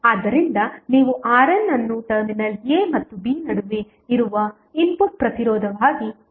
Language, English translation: Kannada, So, you will get R n as a input resistance which would be between terminal a and b